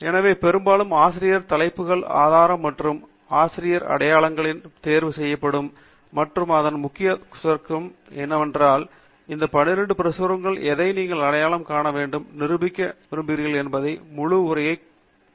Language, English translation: Tamil, So, very often only the Author Titles, Source and Author Identifiers will be selected, and its very important to also select Abstract, because you may want to read the abstract to identify which ones among these 12 publications requires you to go through the full text of that particular article